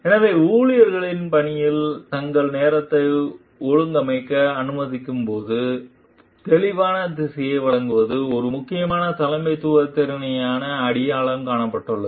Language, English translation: Tamil, So, like providing clear direction while allowing employees to organize their time in work has been identified as the important leadership competency